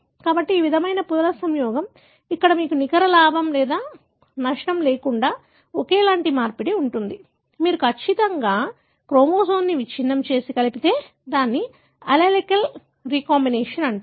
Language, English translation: Telugu, So, this kind of recombination, where you have identicalexchange resulting inwithout any net gain or loss, you have precisely the chromosome broken and joined together, it is called as allelic recombination